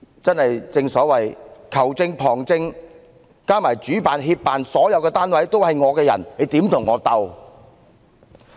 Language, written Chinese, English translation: Cantonese, 正所謂球證、旁證加上主辦、協辦所有單位都是政府的人，我們怎能與她相鬥？, The referee assistant referees the organizer and co - organizers so to speak are all on the Governments side . How can we match her?